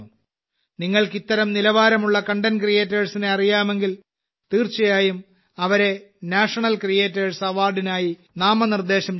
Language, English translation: Malayalam, If you also know such interesting content creators, then definitely nominate them for the National Creators Award